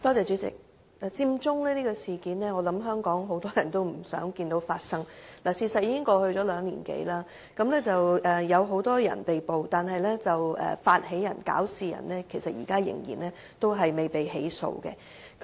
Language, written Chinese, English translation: Cantonese, 主席，我相信很多香港市民也不希望看到佔中事件發生，事實是兩年多已過，有很多人被捕，但發起人及搞事人現在仍然未被起訴。, President I believe many Hong Kong people actually hate to see the occurrence of the Occupy Central movement . More than two years have passed and many people have been arrested but the instigators and ring - leaders have not yet been prosecuted